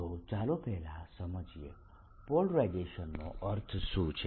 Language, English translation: Gujarati, so let us first understand what does polarization mean